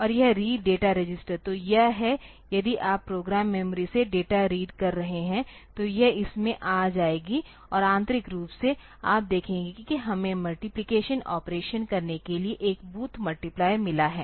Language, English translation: Hindi, And, this read data register; so, this is if you are reading from data from the program memory so, it will be coming into this and internally you see that we have got a booths multiplier for doing the multiplication operation